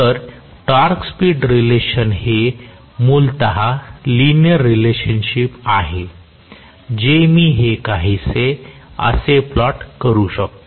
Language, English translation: Marathi, So, torque speed relationship is basically a linear relationship which I can plot somewhat like this